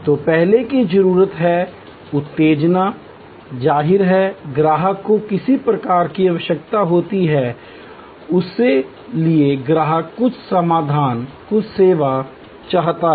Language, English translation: Hindi, So the first is need arousal; obviously, the customer has some kind of need for which the customer then seeks some solution, some service